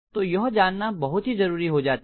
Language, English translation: Hindi, So this is really important to know